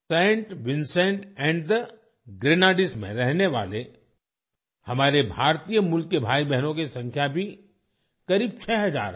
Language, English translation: Hindi, The number of our brothers and sisters of Indian origin living in Saint Vincent and the Grenadines is also around six thousand